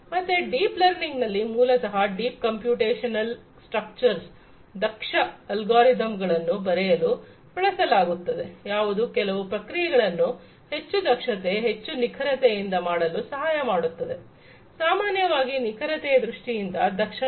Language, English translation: Kannada, So, what is you know so, deep learning is basically where some deep computational structures are used to come up with some efficient algorithms which can do certain things much more efficiently with grater greater accuracy; efficiency in terms of accuracy, typically